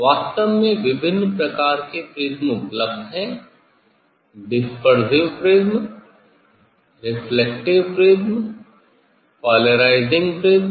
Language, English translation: Hindi, actually, various kinds of prisms are available dispersive prism, reflective prism, polarizing prism; different kinds of prisms are available